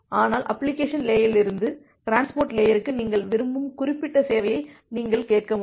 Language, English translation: Tamil, But from the application layer you should ask for the specific service that you want from the transport layer